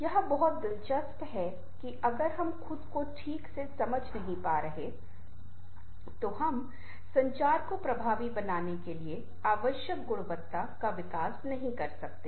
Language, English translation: Hindi, that is something very interesting: that if we are not able to understand ourselves properly, we cannot develop that kind of quality necessary for making communication effective